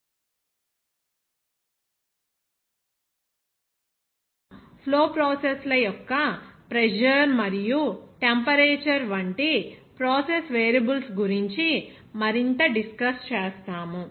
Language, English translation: Telugu, So under this module 2, today we will discuss more about the process variables like pressure and temperature of flow processes